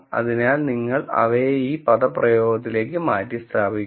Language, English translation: Malayalam, So, you simply substitute them into this expression